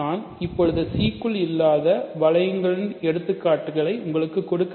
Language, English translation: Tamil, So, what I want to do now is give you examples of rings that cannot be that are not inside C